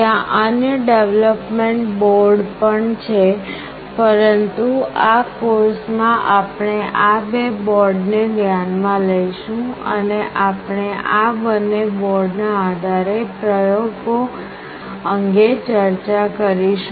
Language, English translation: Gujarati, There are other development boards as well, but in this course we will be taking the opportunity to take these two specific boards into consideration and we will be discussing the experiments based on these two boards